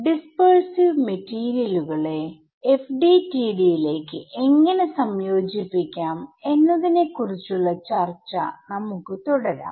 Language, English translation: Malayalam, So, we will continue our discussion of how to incorporate dispersive materials into FDTD